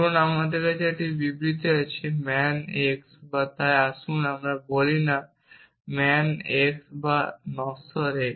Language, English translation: Bengali, Supposing I have this statement man x or, so let us say not man x or mortal x